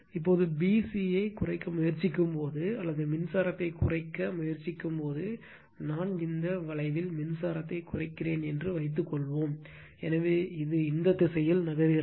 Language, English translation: Tamil, Now, when you try to when you try to reduce b c or what you call try to reduce the current now, suppose why I am moving in this the curve reducing the current, so it is moving in this direction